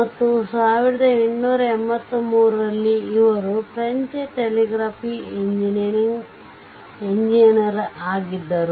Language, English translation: Kannada, And in 1883, he was a French telegraph engineer